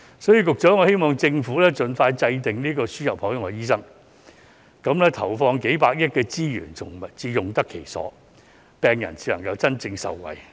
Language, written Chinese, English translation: Cantonese, 所以，局長，我希望政府盡快制訂輸入海外醫生的政策，這樣投放的數百億元資源才會用得其所，病人才能真正受惠。, Therefore Secretary I hope the Government will formulate a policy on the importation of overseas doctors so that the tens of billions of dollars invested will be put to good use and patients can truly benefit